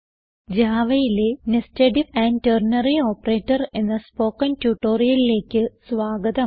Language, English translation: Malayalam, Welcome to the spoken tutorial on Nested If and Ternary Operator in java